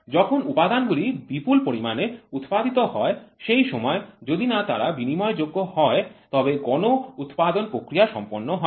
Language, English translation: Bengali, When components are produced in bulk unless they are interchangeable the process of mass production is not fulfilled